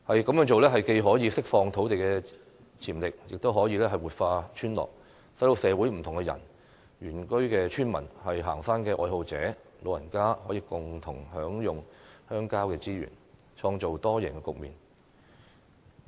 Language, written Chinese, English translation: Cantonese, 這樣做既可釋放土地潛力，亦可以活化村落，使社會不同人士，包括原居村民、行山愛好者和長者，可以共同享用鄉郊資源，創造多贏局面。, In so doing we will not only release the land potential but also revitalize the villages so that different people including indigenous villagers hikers and the elderly can jointly enjoy rural resources and create a multiple - win situation